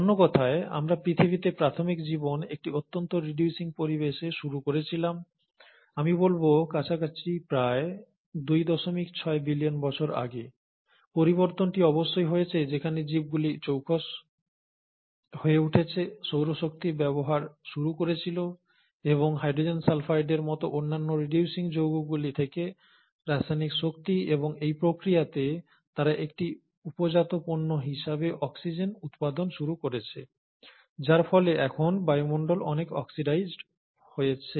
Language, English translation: Bengali, So in other words, we started the initial life on earth in a highly reducing environment, and somewhere around I would say close to about two point six billion years ago, the transition must have happened where the organisms became smarter, started utilizing the solar energy, and the chemical energy from other reducing compounds like hydrogen sulphide, and in the process, they started generating oxygen as a by product, because of which now the atmosphere became highly oxidized